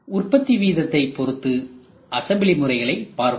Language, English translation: Tamil, So, let us see the assembly methods based on production range